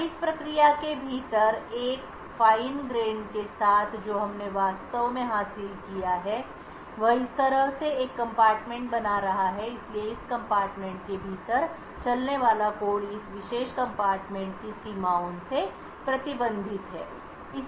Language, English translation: Hindi, Now with a Fine Grained confinement to within a process what we actually achieved is creating one compartment like this, so code that runs within this compartment is restricted by these boundaries of this particular compartment